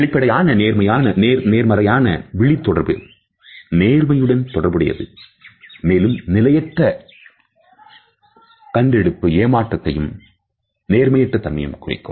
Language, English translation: Tamil, Open and positive eye contact is associated with honesty and on the other hand a poor in shifty eye contact is associated with deceit and dishonesty